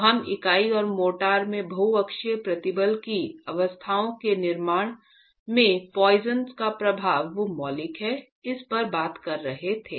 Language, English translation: Hindi, So we were talking about the poisons effect being fundamental in creating the states of multi axial stress in the unit and the motor